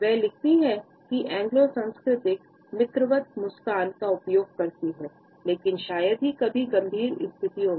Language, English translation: Hindi, She writes that the Anglo culture uses a smile in friendly circles, but rarely in serious situations